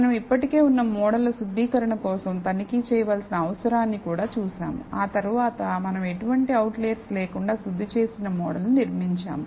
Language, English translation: Telugu, We also saw the need for checking for refinement of existing models and then we built a refined model without any outliers